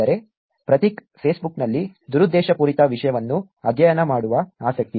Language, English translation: Kannada, That is Prateek, whose interest is on studying malicious content on Facebook